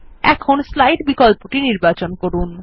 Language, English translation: Bengali, We will choose the Slides option